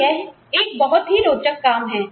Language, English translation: Hindi, So, it is very important